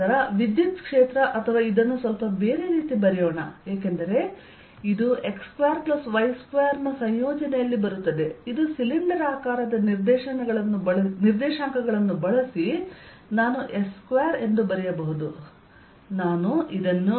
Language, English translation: Kannada, then the electric field, or let's write this slightly: difference, because this come in the combination of x square plus y square which, using cylindrical co ordinate, i can write as a square